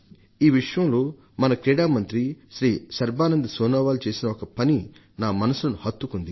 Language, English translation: Telugu, And as I speak, I would like to mention our Sports Minister Shri Sarbanand Sonowal for a gesture that has touched my heart